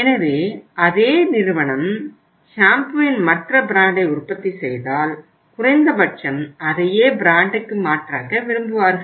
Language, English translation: Tamil, So if the same company manufacturing the other brand of the shampoo at least they will like to replace it with the same brand